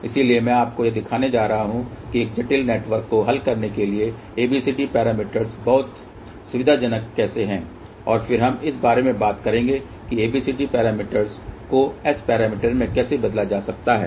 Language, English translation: Hindi, So, I am going to show you how ABCD parameters are very convenient to solve a complex network, and then we will talk about how ABCD parameters can be converted to S parameters